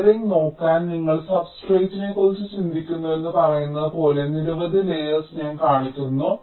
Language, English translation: Malayalam, and just to look at the layering, like i am showing several layers, like, say, you think of the substrate